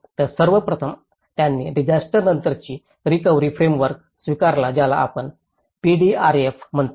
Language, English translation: Marathi, So, first of all, it has adopted a post disaster recovery framework which we call as PDRF